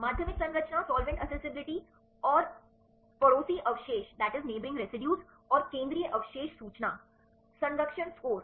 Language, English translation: Hindi, Secondary structure, solvent accessibility and the neighboring residues and the central residue information, conservation score